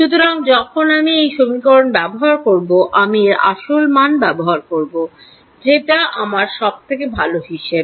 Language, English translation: Bengali, So, when I use the equation I am using the actual value that I know my best estimate